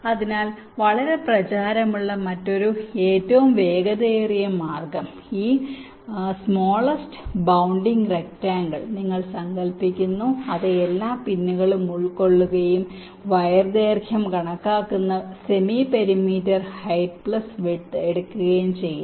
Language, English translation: Malayalam, but the other very fast method which is quite popular, is that you imagine this smallest bounding rectangle that encloses all the pins and take the semi parameter height plus width